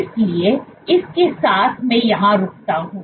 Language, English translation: Hindi, So, with that I stop here